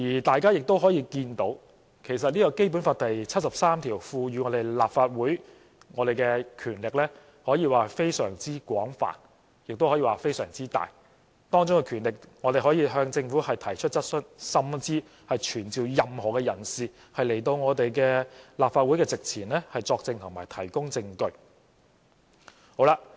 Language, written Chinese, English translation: Cantonese, 大家可以看到，其實《基本法》第七十三條賦予立法會的權力，可說是十分廣泛和巨大，當中的權力包括我們可以向政府提出質詢，甚至傳召任何人士來到立法會席前作證及提供證據。, Everyone can see that the powers conferred by Article 73 of the Basic Law to the Legislative Council are indeed broad and huge including the power to raise questions to the government or even summon anyone to attend before the Council to testify and give evidence